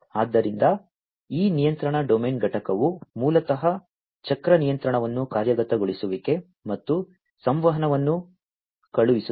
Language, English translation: Kannada, So, this control domain component basically takes care of the cycle control sends actuation and communication